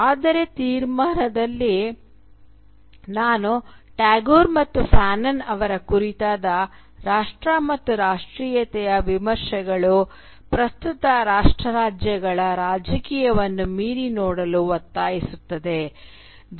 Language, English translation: Kannada, Now, but in the conclusion I had suggested that the criticism of Tagore and Fanon of nation and nationalism also compels us to look beyond the present political norm of nation states